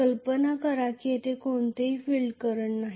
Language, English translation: Marathi, Imagine that there is no field current at all